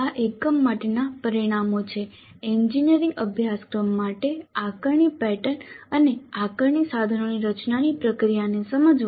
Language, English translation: Gujarati, The outcomes for this unit are understand the process of designing an assessment pattern and assessment instruments for an engineering course